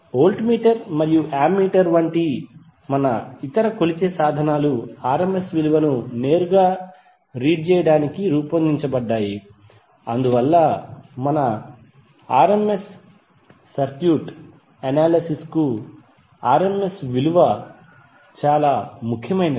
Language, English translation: Telugu, And our other measuring instruments like voltmeter and ammeter are designed to read the rms value directly, so that’s why the rms value is very important for our circuit analysis